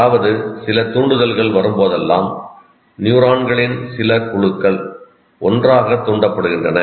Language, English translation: Tamil, And whenever a stimulus comes to you, whenever there is a stimulus, it causes a group of neurons to fight fire together